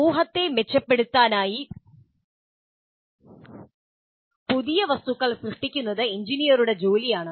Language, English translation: Malayalam, It is an engineer's job to create new things to improve society